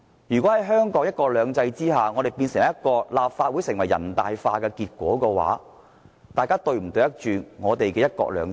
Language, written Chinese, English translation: Cantonese, 如果香港在"一國兩制"下產生立法會"人大化"的結果，議員是否對得起"一國兩制"？, If the Legislative Council of Hong Kong is assimilated to NPCSC under one country two systems have Members upheld the principle of one country two systems?